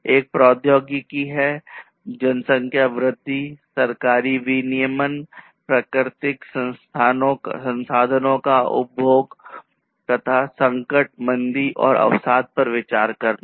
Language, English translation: Hindi, One is technology, growth of population, government regulation, consumption of natural resources, and consideration of crisis, recession, and depression